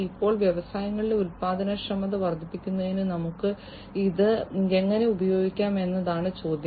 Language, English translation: Malayalam, Now, the question is that how we can use it for increasing the productivity in the industries